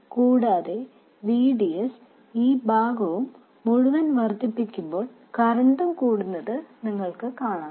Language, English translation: Malayalam, And you can see that as VDS increases this entire thing, the current increases